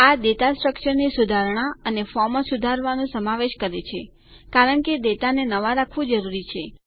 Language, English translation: Gujarati, This includes modifying the data structure, and updating forms as is necessary to keep the data current